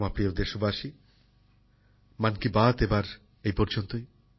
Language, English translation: Bengali, My dear countrymen, that's allthis time in 'Mann Ki Baat'